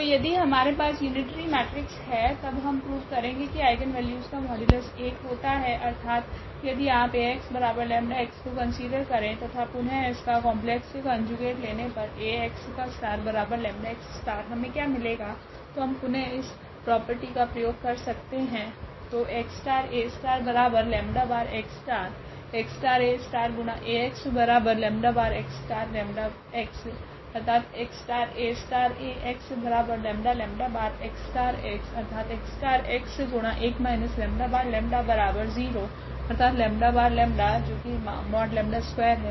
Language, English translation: Hindi, So, if we have unitary matrix then we will prove now the eigenvalues the modulus of the eigenvalues is 1; that means, if you consider here Ax is equal to lambda x and then taking the complex conjugate here again Ax star is equal to lambda x star what we will get so this again we will use this property